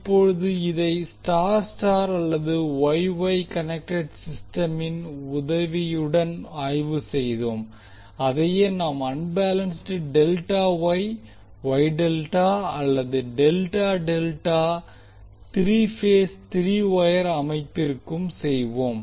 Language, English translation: Tamil, Now this we have analyzed with the help of star star or Y Y connected system same we can do for the unbalanced Delta Y, Y Delta or Delta Delta three phase three wire systems